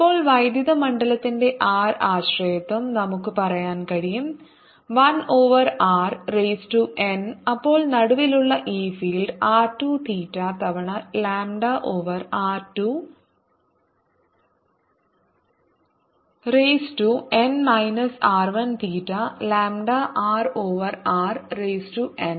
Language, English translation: Malayalam, now if the r dependence of electric field, let's say one over on r raise to n, then the field at this point in the middle is going to be r two theta times lambda over r